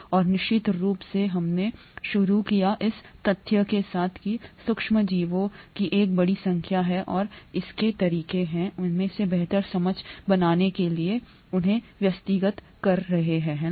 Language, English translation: Hindi, And of course we started out with the fact that there are a large number of microorganisms and there are ways to organise them to make better sense of them, right